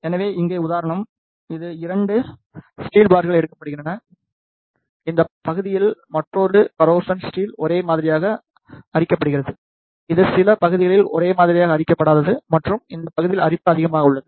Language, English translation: Tamil, So, here is the example; in this 2 steel bars are taken, in this half of the area is uniformly corroded in the another steel bar, it is non uniformly corroded in some of the area and the corrosion is more in this area